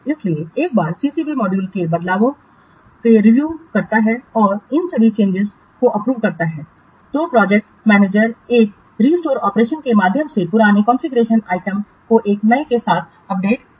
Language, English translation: Hindi, So once the CCB, once the CCB reviews the changes to the module and approves all these changes, then the project manager updates the old configuration item with a new one through a restore operation